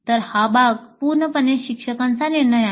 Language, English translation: Marathi, So this part of it is a totally instructor decision